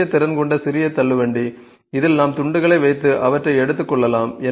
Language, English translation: Tamil, Small trolley which has some capacity so, in this we can just put the pieces and take them along